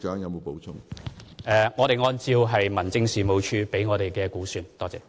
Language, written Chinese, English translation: Cantonese, 我們是按照民政署提供的資料來估算。, We made the estimations based on the information provided by HAD